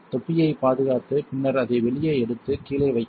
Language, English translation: Tamil, Secure the cap and then take it out put it right underneath